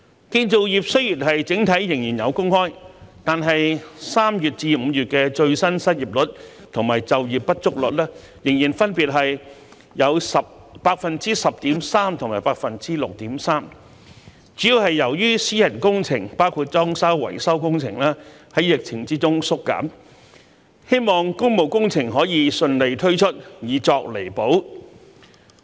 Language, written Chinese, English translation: Cantonese, 建造業雖然整體仍有工開，但3月至5月的最新失業率和就業不足率仍分別有 10.3% 和 6.3%， 主要是由於私人工程，包括裝修維修工程在疫情中縮減，希望工務工程可以順利推出，以作彌補。, Although the construction industry as a whole still have jobs to offer the latest unemployment rate and underemployment rate between March and May stood at 10.3 % and 6.3 % respectively mainly due to the reduction of private works projects including renovation and repair works during the epidemic . It is hoped that public works projects can be launched smoothly to make up for such reduction